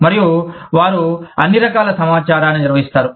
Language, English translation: Telugu, And, they handle, all kinds of information